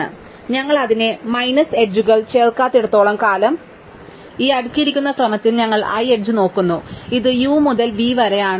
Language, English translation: Malayalam, So, so long as we are not add it n minus edges, we look at the i th edge in this sorted order, it is of sum u to v